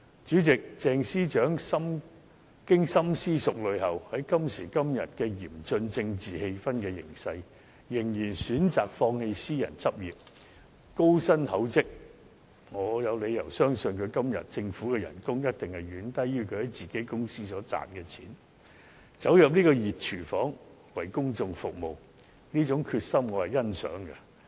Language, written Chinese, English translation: Cantonese, 主席，鄭司長經深思熟慮後，在今時今日嚴峻政治氣氛的形勢下，仍然選擇放棄私人執業、高薪厚職——我有理由相信她今天所獲得的政府薪酬一定遠低於她在自己公司所賺的錢——走入這個"熱廚房"，為公眾服務，這種決心，我是欣賞的。, Is this fair to them? . President under the current tense political atmosphere Secretary for Justice Teresa CHENG has after thorough consideration still chosen to give up her private practice and high remunerations―I have reasons to believe the salary offered by the Government is much lower than what she made from her own company―and enter this hot kitchen to serve the public